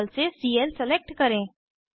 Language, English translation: Hindi, Select Cl from table